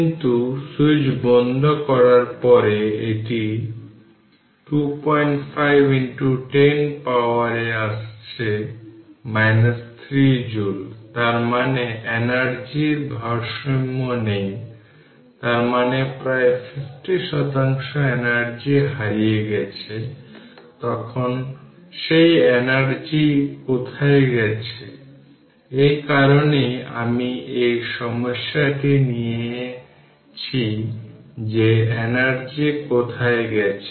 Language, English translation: Bengali, 5 into 10 to the power minus 3 joules ; that means, the energy balance is not there; that means, some 50 percent of the energy is missing then where that energy has gone right that is that is why this problem I have taken that where that energy has gone